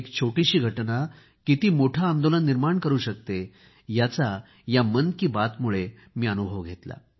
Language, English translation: Marathi, I've experienced through 'Mann Ki Baat' that even a tiny incident can launch a massive campaign